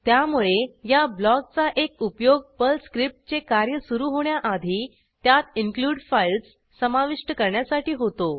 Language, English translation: Marathi, So one of the use of this block is to include files inside a Perl script, before actual execution starts